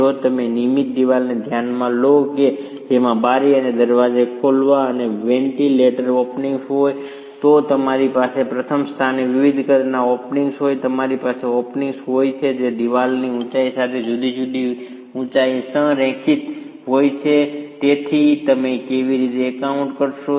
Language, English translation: Gujarati, If you consider a regular wall which has window openings and door openings and ventilator openings, you have openings of different sizes in the first place, you have openings which are aligned at different heights along the height of the wall and hence how do you account for these different sizes of openings at different locations in a wall is a rather involved set of calculations